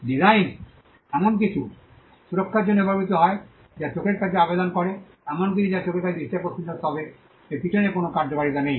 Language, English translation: Bengali, Designs are used to protect something that appeals to the eye something that is visually appealing to the eye but does not have a function behind it